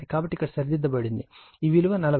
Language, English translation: Telugu, So, it is corrected here it is 40 right